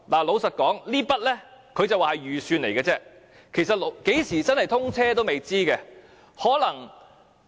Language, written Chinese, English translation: Cantonese, 老實說，他說這筆費用只是預算，其實何時正式通車也是未知之數。, To be honest he says this sum of money is merely a budget and the official date for the bridge to open to traffic is still an unknown